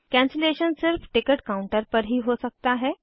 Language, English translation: Hindi, The cancellation can be done at ticket counters only